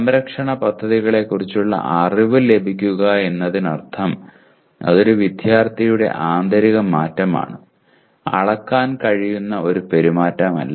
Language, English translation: Malayalam, Will get knowledge of protection schemes means it is internal change in a student and not a behavior that can be measured